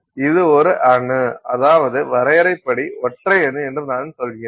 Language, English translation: Tamil, I mean by definition, that is a single atom